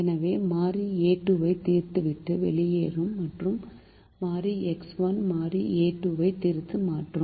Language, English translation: Tamil, variable x two will come into the solution and variable a one will go out of the solution